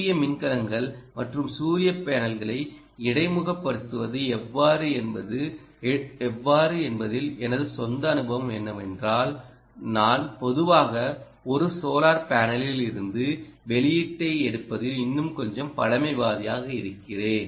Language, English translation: Tamil, my own experience is, from whatever little bit i have been, you know, looking at how to interface solar cells and solar panels, i normally i am a little more conservative in taking, ah, the output from a solar panel